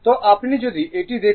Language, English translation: Bengali, So , if you look into this